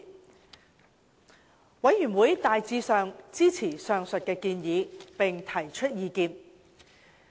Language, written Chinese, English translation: Cantonese, 事務委員會大致上支持上述的建議，並提出意見。, Members generally supported the above proposals and provided views on the amendments